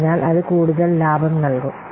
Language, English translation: Malayalam, So that will bring more profit